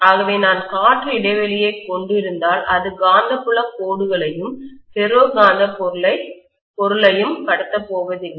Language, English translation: Tamil, So if I am having the air gap, clearly it is not going to pass the magnetic field lines as well as the ferromagnetic material